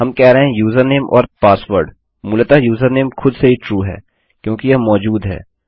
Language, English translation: Hindi, We are saying username and password basically username itself is true because it exists..